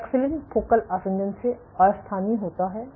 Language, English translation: Hindi, So, paxillin delocalizes from focal adhesions